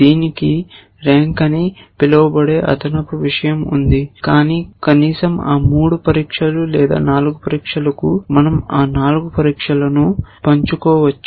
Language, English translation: Telugu, It has a additional thing called rank, but at least for those 3 tests or 4 tests, we can share those 4 tests